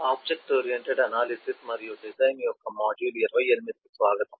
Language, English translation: Telugu, welcome to module 28 of object oriented analysis and design